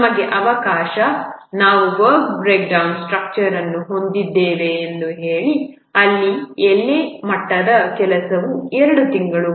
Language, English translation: Kannada, Let's say we have a work breakdown structure where the leaf level work is two months